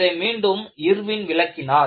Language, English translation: Tamil, This is again, the contribution by Irwin